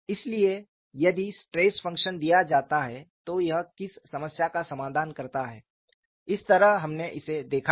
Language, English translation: Hindi, So, if the stress function is given, what problem it solves that is the way we are looked at it and how do you arrived the stress function